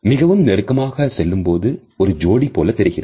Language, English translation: Tamil, Too close to when they are like just a couple